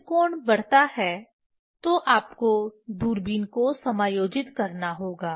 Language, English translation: Hindi, When angle increases you have to adjust the telescope